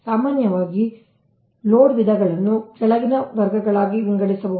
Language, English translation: Kannada, in general, the types of load can be divided into following categories